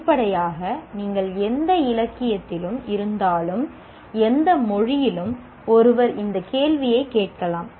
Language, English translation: Tamil, Obviously if you are in any literature, in any language, one can ask this question